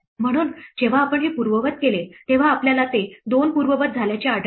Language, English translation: Marathi, So, when we undo this one, we will find those two get undone